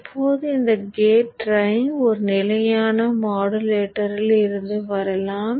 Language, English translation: Tamil, Now this gate drive can come from a standard modulator